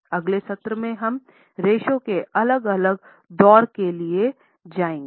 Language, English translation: Hindi, In the next session, we will go for next round of ratios